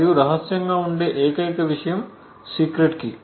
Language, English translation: Telugu, The only thing that is unknown in all of this is the secret key